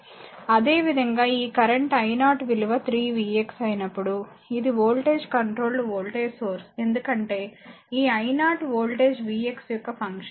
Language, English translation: Telugu, Similarly, this current when i 0 is 3 v x it is voltage controlled current source because this i 0 is function of the voltage v x